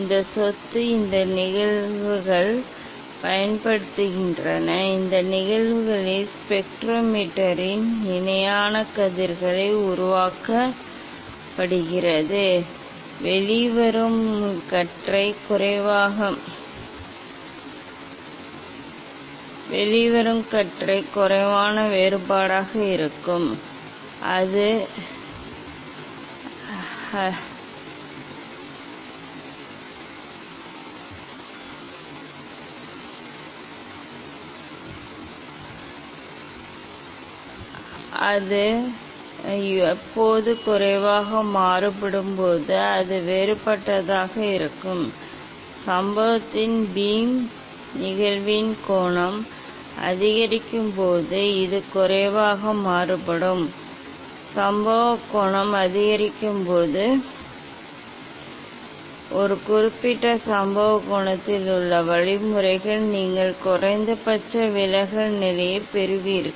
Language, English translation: Tamil, this property, this phenomena is used, this phenomena is used for making the parallel rays of the spectrometer, the emergent beam will be less divergent, when it will be less divergent when will be more divergent, It will be less divergent when the incident beam as the angle of incidence is increased, when incident angle will increase then the means at a particular incident angle you will get the minimum deviation position